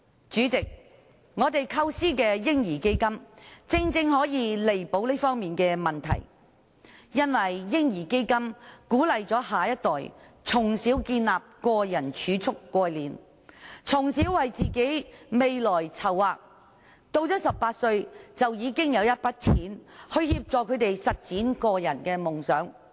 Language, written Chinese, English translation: Cantonese, 主席，我們構思的"嬰兒基金"，正正可以彌補這方面的問題，因為"嬰兒基金"鼓勵下一代從小建立個人儲蓄概念，從小為自己的未來籌劃，到了18歲已經有一筆錢來協助他們實踐夢想。, President the baby fund conceived by us can precisely remedy these problems because it seeks to encourage the next generation to develop the personal savings concept and make preparations for their own future at a tender age so that they will have a sum of money to assist them in realizing their dreams when they reach the age of 18